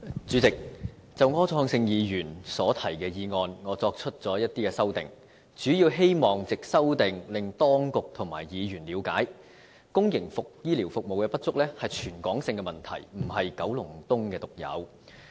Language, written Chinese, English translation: Cantonese, 主席，就柯創盛議員所提的議案，我作出了一些修訂，主要希望藉修訂令當局和議員了解，公營醫療服務不足是全港的問題，並非九龍東獨有。, President I have made some amendments to the motion proposed by Mr Wilson OR the main purpose of which is to make the Administration and Members appreciate that the shortage of public healthcare services is a territory - wide issue not unique to Kowloon East